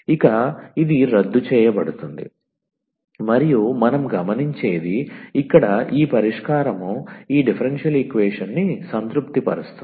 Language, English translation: Telugu, So, this will cancel out and what we observe that, this solution here which a satisfy satisfies this differential equation